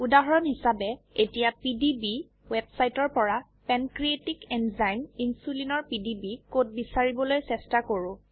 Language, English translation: Assamese, As an example: Let us try to find PDB code for Pancreatic Enzyme Insulin from the PDB website